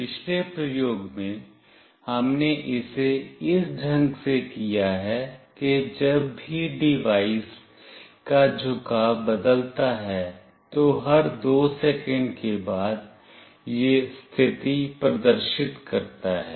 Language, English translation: Hindi, In the previous experiment, we have done it in a fashion that whenever the device orientation changes, after every 2 seconds it is displaying the status